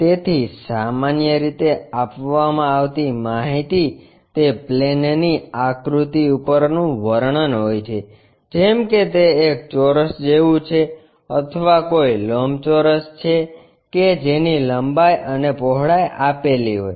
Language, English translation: Gujarati, So, usually what is given is description over the plane figure is something like a square of so and so side or perhaps a rectangle of length this and breadth that